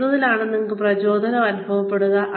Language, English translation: Malayalam, What will you feel motivated for